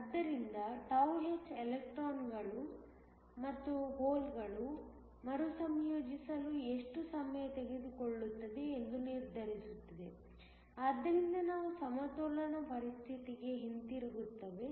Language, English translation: Kannada, So, τh determines, how long does it take for the electrons and holes to recombine so that, we go back to the equilibrium situation